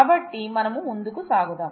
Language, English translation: Telugu, So, let us move on